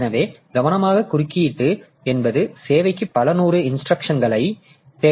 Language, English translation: Tamil, So, careful coding means just several hundred instructions needed